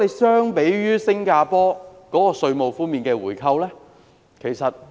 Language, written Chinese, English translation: Cantonese, 相比之下，新加坡提供的稅務回扣非常吸引。, In comparison tax rebates offered by Singapore were very attractive